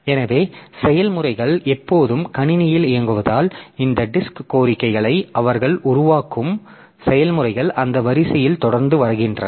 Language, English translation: Tamil, So, since the processes are always running in the system, so it may so happen that the processes they are generating this disk requests continually in that order